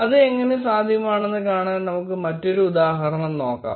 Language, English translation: Malayalam, Let us see another example to see how that is possible